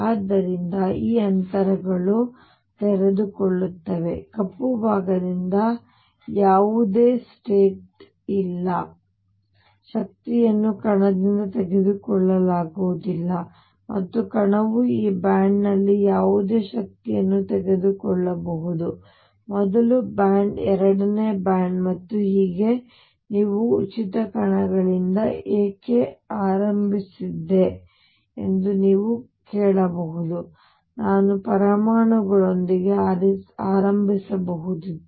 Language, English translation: Kannada, So, there are these gaps which open up which I have show by this black portion where no state exists, these energies cannot be taken up by the particle and the particle can take any energy in this band; first band second band and so on you may ask why did I start with free particles, I could have started with atoms